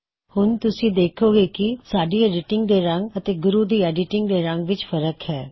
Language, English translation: Punjabi, We can see that the colour of this insertion is different from the colour of the edits done by Guru